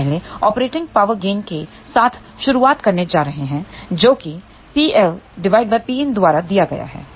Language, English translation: Hindi, We are going to first start with Operating Power Gain which is given by P l divided by P in